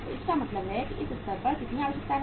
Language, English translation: Hindi, So it means how much is the requirement at this stage